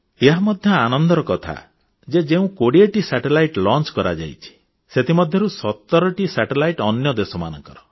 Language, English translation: Odia, And this is also a matter of joy that of the twenty satellites which were launched in India, 17 satellites were from other countries